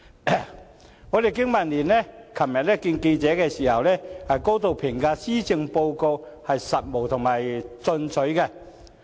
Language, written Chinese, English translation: Cantonese, 香港經濟民生聯盟昨天會見記者時，高度評價施政報告務實進取。, During a meeting with journalists yesterday the Business and Professionals Alliance for Hong Kong highly commended the Policy Address for being pragmatic and ambitious